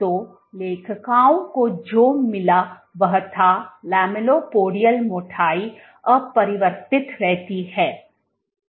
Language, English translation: Hindi, So, what the authors found was the lamellipodial thickness remains unchanged